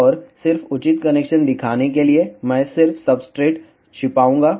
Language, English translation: Hindi, And just to show the proper connection, I will just hide the substrate